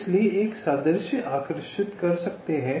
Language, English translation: Hindi, so i can draw an analogy